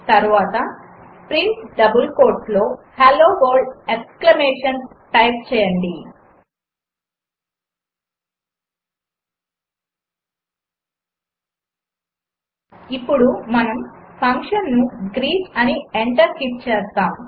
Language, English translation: Telugu, Then type print within double quotes Hello World exclamation now we call the function as,greet() and hit enter